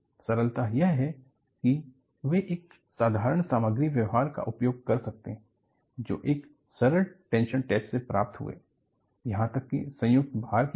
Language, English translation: Hindi, The ingenuity is that, they are able to exploit the material behavior obtained in a simple tension test, even for combined loading